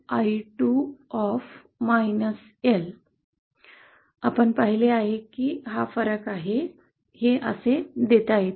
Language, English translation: Marathi, And i10, which we saw, is the difference; this can be given as, like this